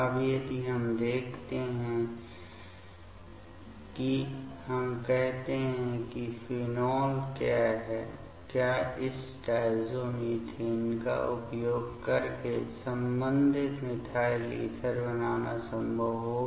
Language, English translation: Hindi, Now, if we see let us say phenol will it be possible to make it’s corresponding methyl ether using this diazomethane